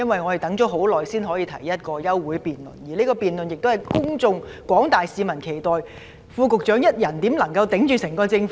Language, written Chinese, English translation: Cantonese, 我們等了很久才可以提出一項休會待續議案，而這項辯論又受廣大市民期待，試問副局長一人如何可以代表整個政府呢？, It has been quite some time since we last moved an adjournment motion and this debate is earnestly anticipated by the general public . How can the Under Secretary alone represent the entire Government then?